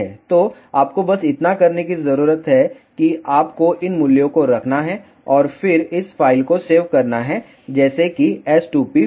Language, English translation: Hindi, So, all you need to do is you need to just put these values and then save this file is not s2p file ok